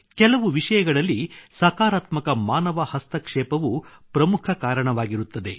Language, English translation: Kannada, However, in some cases, positive human interference is also very important